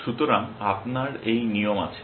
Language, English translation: Bengali, So, if you have these rules